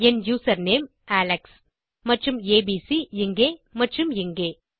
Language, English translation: Tamil, My username chosen was alex and of course abc here and here